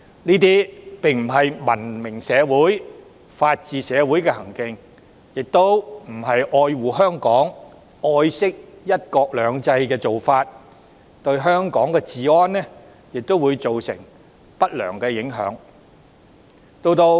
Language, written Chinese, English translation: Cantonese, 這些並非文明社會、法治社會的行徑，亦不是愛護香港、愛惜"一國兩制"的做法，對香港治安亦會造成不良影響。, Such acts have no place in a civilized society where the rule of law reigns . Nor are these acts which would have an adverse impact on the law and order condition of Hong Kong an expression of love and care for Hong Kong and the principle of one country two systems